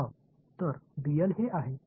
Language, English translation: Marathi, Yeah, so, dl is this